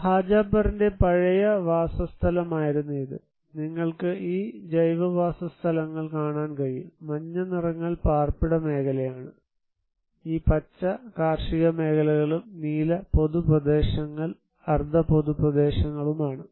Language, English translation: Malayalam, This was the old settlement of Hajapar you can see this organic settlements, the yellow ones are the residential area, these greens are the agricultural areas and the blue are public and semi public areas